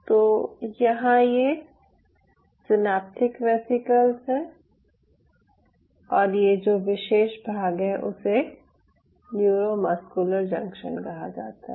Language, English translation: Hindi, so so here you have the synaptic vesicles, or this particular part is called neuromuscular junction